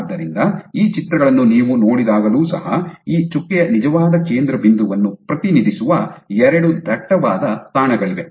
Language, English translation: Kannada, So, even when you look took at these images there are 2 dense spots representing the actual point center point of this dot